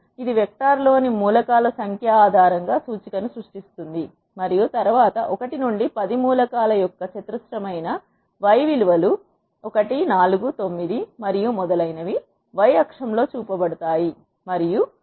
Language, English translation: Telugu, It will create the index based on the number of elements in the vector and then the y values which are the squares of elements 1 to 10 that are 1 4 9 and so on are shown in the y axis, and 10 square is 100